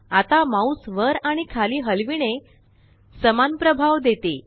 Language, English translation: Marathi, Now moving the mouse up and down gives the same effect